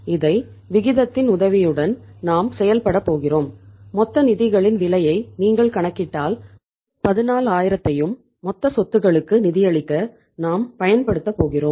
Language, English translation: Tamil, This is we are going to work out with the help of the ratio and if you calculate the cost of total funds we are going to use to fund the total assets of the 14000